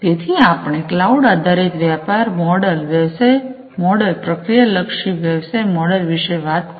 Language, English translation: Gujarati, So, we talked about cloud based business model, we talked about the service oriented business model, we talked about the process oriented business model